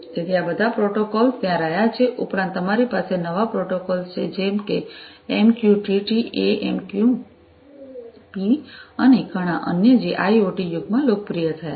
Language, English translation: Gujarati, So, all these protocols have been there plus you have new protocols such as MQTT, AMQP and many others which have become popular in the IoT era